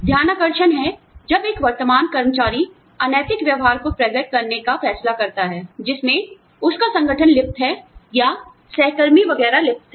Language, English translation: Hindi, Whistleblowing is, when a current employee, decides to reveal unethical behavior, that his or her organization is indulging in, or peers are indulging in, etcetera